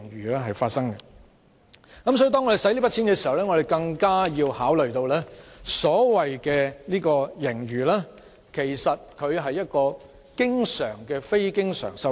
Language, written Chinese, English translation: Cantonese, 因此，當我們使用這筆錢時，要考慮到所謂盈餘其實是經常出現的非經常收入。, Hence when using it we should consider that such a surplus is actually capital revenue which is recurrent in nature